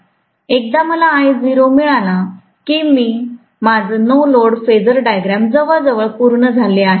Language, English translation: Marathi, Once I get I naught, my no load phasor diagram is done almost